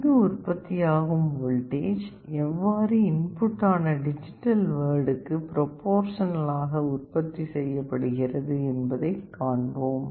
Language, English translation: Tamil, Let us see how this voltage V which is generated here, is proportional to the digital input D